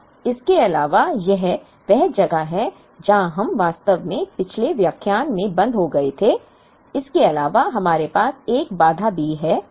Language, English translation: Hindi, Now, in addition this is where we actually stopped in the previous lecture; in addition, we also have a constraint